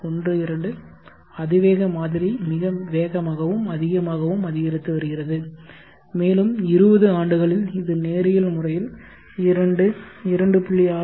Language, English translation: Tamil, 12, the exponential model is increasing faster and much more, and in 20 years this is going linear fashion to 2